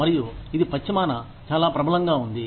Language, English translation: Telugu, And, this is quite prevalent, in the west